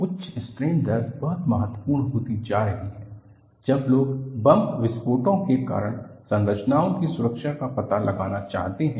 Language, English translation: Hindi, High strain rate is becoming very important, when people want to find out safety of structures due to bomb blast